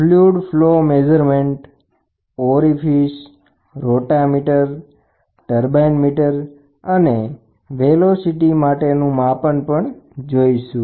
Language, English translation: Gujarati, Fluid flow measurement then flows in a pipes and orifice, rotameter and turbine meters and the last one is going to be velocity measurement